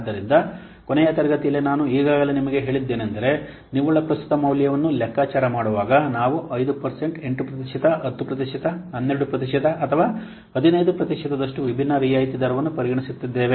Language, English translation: Kannada, So, in the last class I have already told you while calculating the net present value, we are considering different discount rates such as 5%, 8%, 10%, 12%, or 15%, things like that